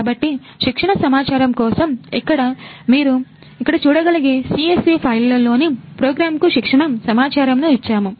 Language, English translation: Telugu, So for the training data, here we have given the training data to the program in CSV file you can see here